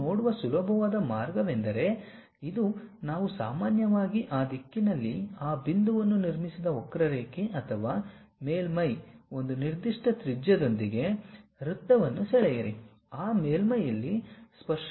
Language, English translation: Kannada, One way of easiest way of looking at that is, this is the curve or surface what we have first construct a point in that normal to that direction, draw a circle with one particular radius, wherever that surface is a tangential point pick it